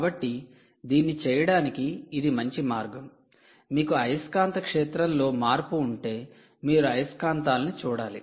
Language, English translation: Telugu, if you have a change in magnetic field, obviously you need to look at magnets